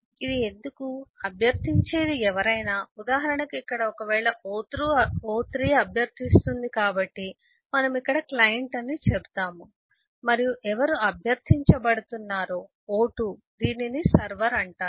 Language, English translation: Telugu, why this is anybody who requests, for example, eh here, if eh, o3 was requesting, so we will say, here is the client and who was being requested o2, this is called the server